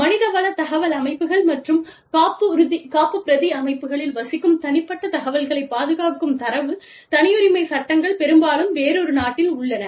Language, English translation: Tamil, Data privacy laws, that protect personal information, residing in HR information systems, and the backup systems, which are often in another country